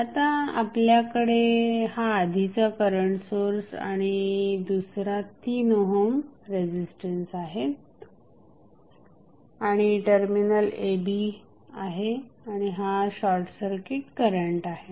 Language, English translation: Marathi, Now, you have the given current source and you have another 3 ohm resistance and then you have terminal a, b and this is the short circuit current